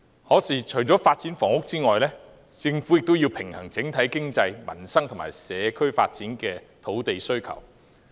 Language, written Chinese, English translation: Cantonese, 可是，除了發展房屋外，政府也要平衡整體經濟、民生和社區發展的土地需求。, However apart from housing development the Government needs to strike a balance among the demands for land arising from the overall develeopment of the economy peoples livelihood and the community